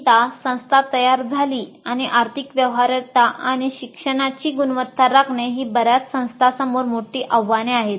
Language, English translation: Marathi, But once the institution created and maintaining financial viability and quality of learning is a major challenge to many institutions